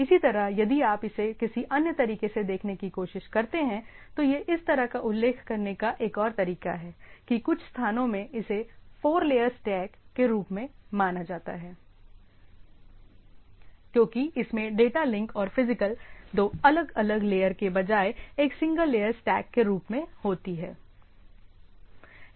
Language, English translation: Hindi, Similarly, if you try to look at some other way of looking at it like this is other way of as mentioning that some places it is considered as a four layer stack instead of data link and physical TCP/IP considered as single layer stack